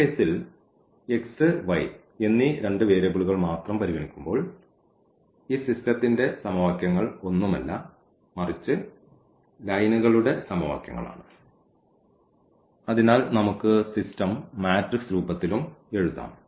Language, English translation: Malayalam, So, in this case when we are considering only 2 variables x and y these equations the equations of the system are nothing, but the equation of the lines